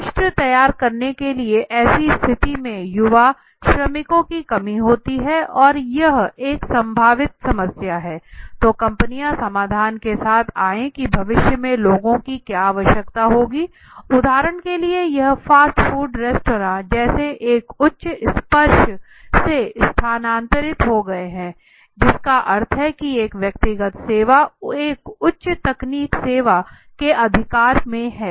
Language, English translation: Hindi, To prepare the nation for it so in such a situation there is a potential shortage of young workers which has been seen that it would be a potential problem, so companies have come up with solutions like understanding okay what would people require in the future, so to understand that fast food restaurants for example have move from a high touch that means a personal service to a high tech service right